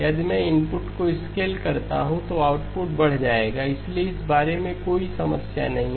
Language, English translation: Hindi, If I scale the input, output would get scaled, so there is no issue about that